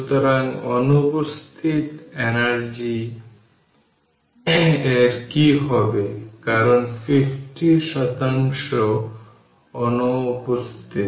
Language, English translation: Bengali, So, what happens to the missing energy because 50 percent is missing